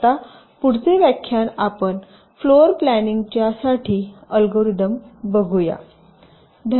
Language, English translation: Marathi, so now, next lecture, we shall be looking at the algorithms for floor planning